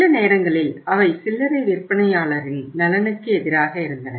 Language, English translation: Tamil, Sometime they are against the interest of retailer